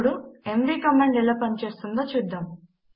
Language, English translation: Telugu, Now let us see how the mv command works